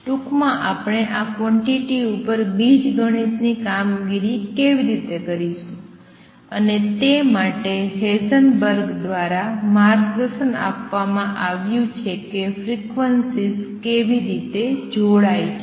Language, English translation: Gujarati, In short how do we perform algebraic operations on these quantities and for that Heisenberg was guided by how frequencies combine